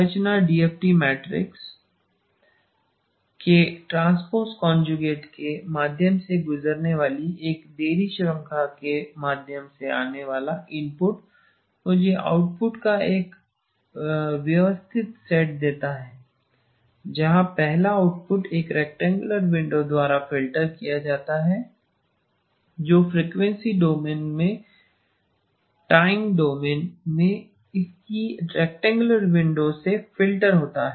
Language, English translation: Hindi, The structure, the input coming through a delay chain passing through the transpose conjugate of the DFT matrix gives me a systematic set of outputs where the first output corresponds to filtered by a rectangular window its rectangular in the time domain in the frequency domain it will be a sink function and then these are all shifted versions of the sink function